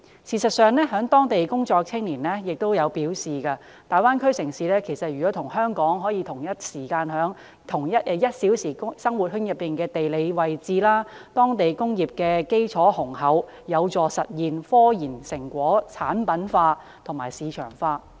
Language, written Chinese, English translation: Cantonese, 事實上，有在當地工作的青年亦表示，大灣區城市與香港同在 "1 小時生活圈"內的地理位置，當地工業基礎雄厚，有助實現科研成果產品化和市場化。, In fact according to the young people working in those Mainland cities the Greater Bay Area cities and Hong Kong are geographically located within the one - hour living circle and the solid industrial foundation of those cities can help realize the commercialization and marketization of the results of local scientific researches